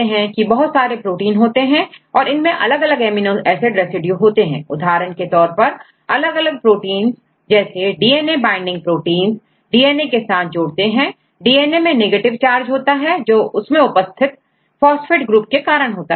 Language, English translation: Hindi, If we got different types of proteins for example, DNA binding proteins; you know DNA binding proteins the proteins interact with the DNA, see DNA is the negative charge because of phosphate group